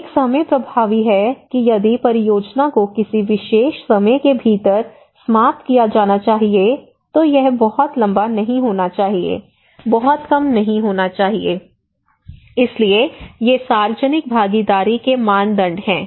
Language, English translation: Hindi, Another one is the time effective that if the project should be finished within a particular time, tt should not be too long, should not be too short, so these are the criterias of public participations